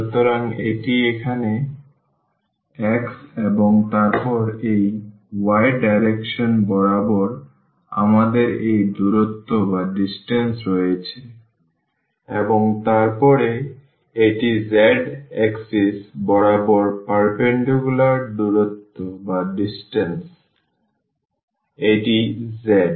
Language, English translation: Bengali, So, this is x here and then along this y direction we have this distance y and then this is the perpendicular distance along the z axis, this is the z